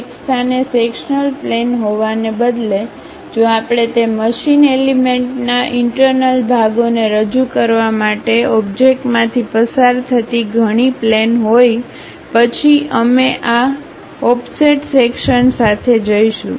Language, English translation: Gujarati, Instead of having a sectional plane at one location, if we have multiple planes passing through the object to represent interior parts of that machine element; then we go with this offset section